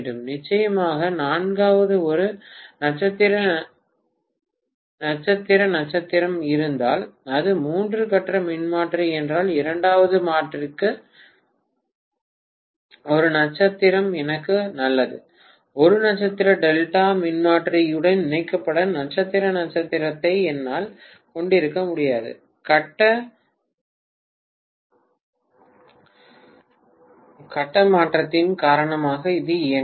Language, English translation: Tamil, And the fourth one of course if it is a three phase transformer if I have a star star, I better have a star star for the second transformer also, I can’t have simply star star connected to a star delta transformer, it will not work because of the phase shift